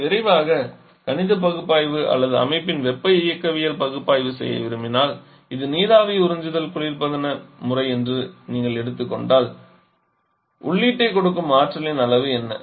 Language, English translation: Tamil, So, if you quickly want to perform mathematical analysis or thermodynamic of the system if you take this is your vapour absorption refrigeration system then what are the amount of energy that you are giving input to this